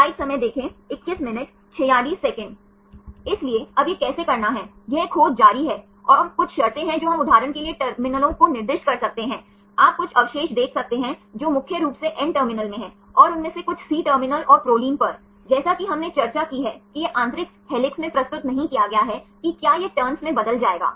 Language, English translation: Hindi, So, now how to do this continued search, and there are some conditions we can assign the terminals for example, you can see some residues which are mainly in the N terminal, and some of them on the C terminal and Proline, as we discussed it is not presented in the inner helix whether it will form turns